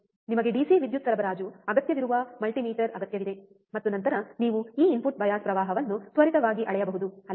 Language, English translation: Kannada, You just need multimeter you just need DC power supply and then you can measure this input bias current quickly, right